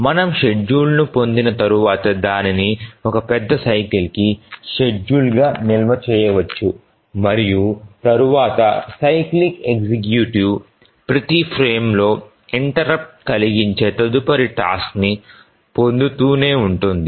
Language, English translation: Telugu, And once we derive the schedule, it can be stored as the schedule for one major cycle and then the cyclic executive will keep on fetching the next task on each frame interrupt